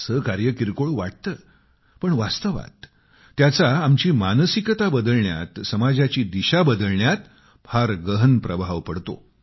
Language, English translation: Marathi, These works may seem small but have a very deep impact in changing our thinking and in giving a new direction to the society